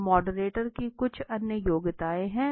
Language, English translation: Hindi, So there are some other qualifications of the moderator